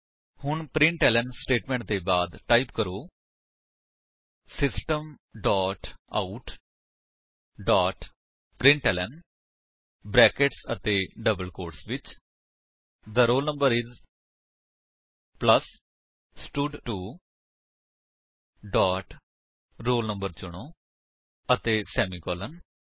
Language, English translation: Punjabi, Now, after the println statements, type: System dot out dot println within brackets and double quotes The roll number is plus stud2 dot select roll no and semicolon